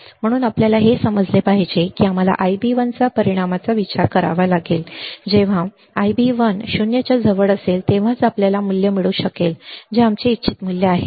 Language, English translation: Marathi, So, we have to understand that we have to consider the effect of I b 1 only when I b 1 is close to 0 then we can have value which is our desired value all right